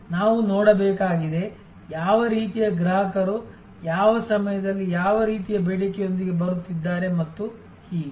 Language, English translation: Kannada, We have to see, what kind of customers are coming up with what kind of demand at what point of time and so on and so forth